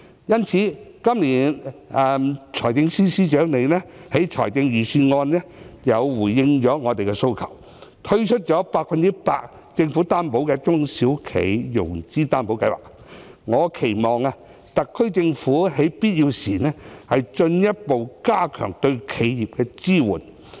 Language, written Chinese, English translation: Cantonese, 因此，今年財政司司長在預算案回應了我們的訴求，政府推出了 100% 擔保的"中小企融資擔保計劃"，我期望特區政府在必要時，進一步加強對企業的支援。, Thus the Financial Secretary has responded to our request in the Budget this year . The Government will introduce the Special 100 % Loan Guarantee under the SME Financing Guarantee Scheme . I expect that the SAR Government will further strengthen its support for enterprises as and when the need arises